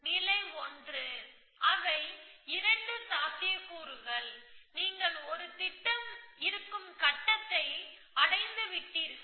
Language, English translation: Tamil, The stage 1, they are 2 possibilities that either you have reach the stage in which a plan may exists